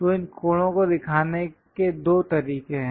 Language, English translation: Hindi, So, there are two ways to show these angles